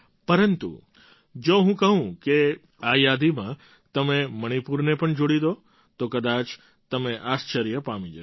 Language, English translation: Gujarati, But if I ask you to add the name of Manipur too to this list you will probably be filled with surprise